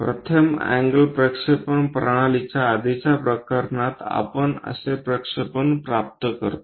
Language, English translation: Marathi, In the earlier case in the first angle projection system